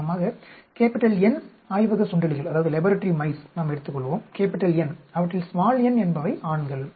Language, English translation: Tamil, For example, let us take N laboratory mice, N of them, n are males